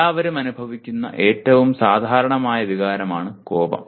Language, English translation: Malayalam, One of the most common emotion that everyone experiences is anger